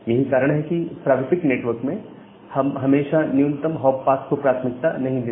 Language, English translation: Hindi, So, that is why in a typical network we do not always prefer to use the minimum hop path